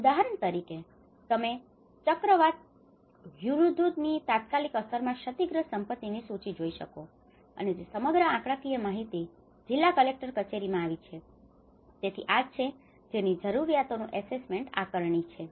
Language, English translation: Gujarati, Like for example, you can see in the immediate impact of the cyclone Hudhud, you can see the list of property damaged and the whole statistical information come to the district collectorate, so this is what our needs assessment is all about